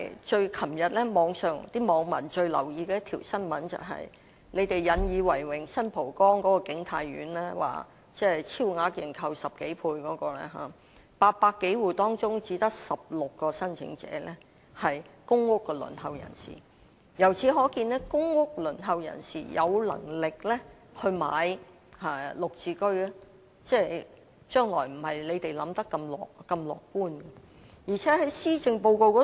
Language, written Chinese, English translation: Cantonese, 昨天網民最留意的一宗新聞便是政府引以為榮，超額認購10多倍的新蒲崗景泰苑 ，800 多戶中只有16名申請者是輪候公屋人士，由此可見，有能力購買"綠置居"的輪候公屋人士數目，未必如政府所想般那麼樂觀。, Yesterday the news that captured most attention of the netizens was the oversubscription of King Tai Court in San Po Kong by more than 10 times in which the Government has taken pride . Of the 800 - odd households only 16 applicants are waitlisted for PRH units . From this we can see that the number of waitlisted people for PRH with the means to buy a flat under GSH may not be as optimistic as perceived by the Government